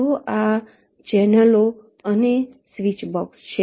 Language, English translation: Gujarati, they are called channels or switch boxes